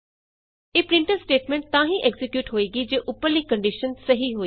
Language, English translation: Punjabi, This printf statement is executed if the above condition is true